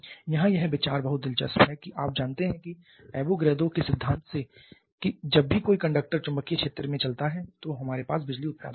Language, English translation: Hindi, Here the idea is very interesting you know that from Avogadro's principle that whenever a conductor moves in a magnetic field we have electricity generation